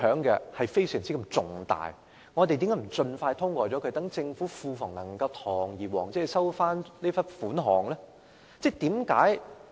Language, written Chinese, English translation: Cantonese, 既然如此，我們為何不盡快通過《條例草案》，讓政府庫房可以堂而皇之收回這筆稅款？, In that case why not pass the Bill as soon as possible so that the Government can overtly recover the stamp duty involved?